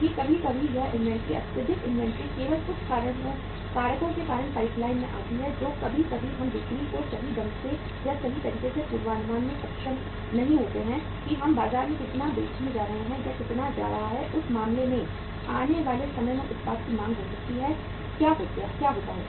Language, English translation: Hindi, That sometimes this inventory, excessive inventory comes up in the in the pipeline only because of certain factors that sometimes we are not able to forecast the sales properly or in the right earnest that how much we are going to sell in the market or how much is going to be the demand for the product in the time to come in that case what happens